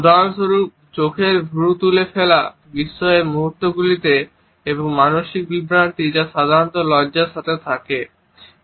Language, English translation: Bengali, For example, the lifting of the eye brows in moments of surprise and the mental confusion which typically accompanies blushing